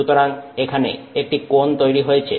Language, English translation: Bengali, So, there is some angle here, right